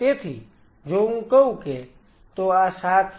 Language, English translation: Gujarati, So, it means less than 7